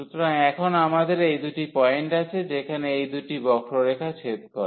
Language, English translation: Bengali, So, we will have these two points now where these two curves intersects